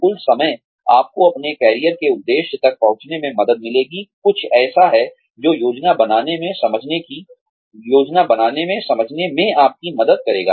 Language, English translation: Hindi, The total time, you will take to reach, your career objective, is something that, planning will help you, understand